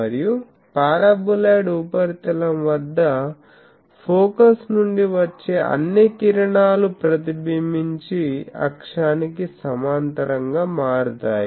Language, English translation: Telugu, And, for the paraboloid surface all rays from focus are reflected to become parallel to axis